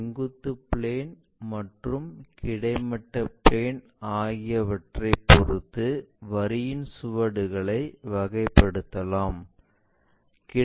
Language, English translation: Tamil, And there are different kind of traces of a line with horizontal plane and also vertical plane